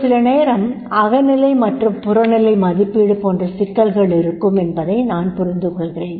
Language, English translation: Tamil, I understand there will be the problems in the objective and subjective